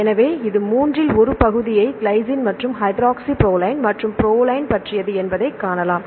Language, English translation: Tamil, So, you can see the one third this is about the glycine and hydroxyproline as well as the proline